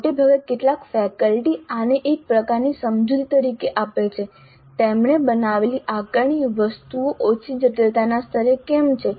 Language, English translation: Gujarati, Now often faculty give not all but some of them do give this as a kind of an explanation why the assessment items that they have created are at lower complexity level